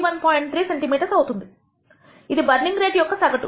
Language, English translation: Telugu, 3 centimeter per second, the burning rate average value